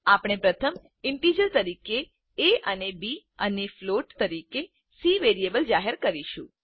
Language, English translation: Gujarati, We first declare variables a and b as integer and c as float